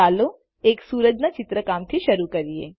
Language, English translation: Gujarati, Let us begin by drawing the sun